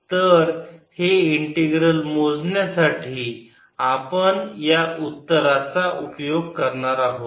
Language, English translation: Marathi, so we will use this answer to calculate this integral